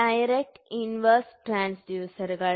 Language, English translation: Malayalam, So, it is called as inverse transducer